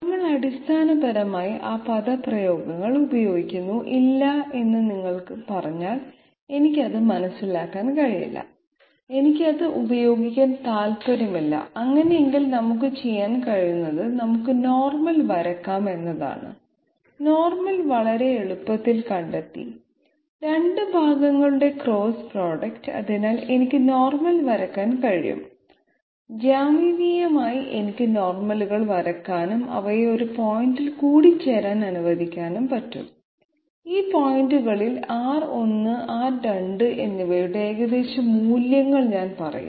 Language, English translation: Malayalam, We employ basically those expressions, if you say that no I could not understand it and I do not want to use it, fine in that case what we can do is we can draw normals, normal at least has been found out very easily as the cross product of the 2 partials and therefore I can draw the normal, so geometrically I can draw the normals and let them intersect at some point and I will say that these approximate values of R 1 and R 2 at these points